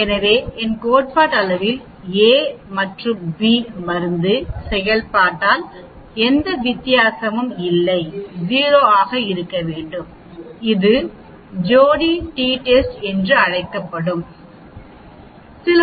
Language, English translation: Tamil, So theoretically, if a and b perform in the same way that difference should be 0 that is called the paired t test